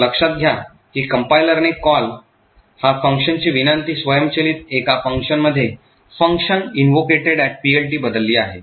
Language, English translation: Marathi, So, note that the compiler has automatically changed a call, a function invocation to this, to a function, the function invocation at PLT